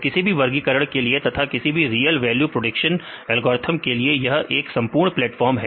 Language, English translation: Hindi, So, now it is having a full fletched platform for any classification as well as the real value prediction algorithms